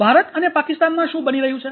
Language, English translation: Gujarati, What is happening into the India and Pakistan